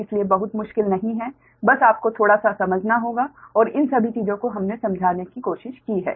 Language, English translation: Hindi, so not very difficult one, just you have to understand little bit and all these things are we have tried to explain, right